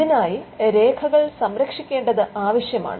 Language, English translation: Malayalam, So, this requires record keeping